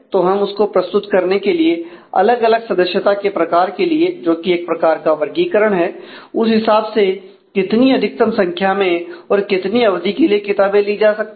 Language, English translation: Hindi, So, we would like to represent that for different member type which is a category; how many number of maximum books can be taken and what could be the maximum duration